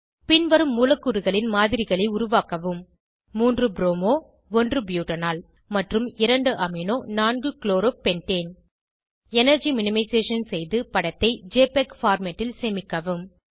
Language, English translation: Tamil, * Create models of the following molecules.3 bromo 1 butanol and 2 amino 4 chloro pentane * Do energy minimization and save the image in JPEG format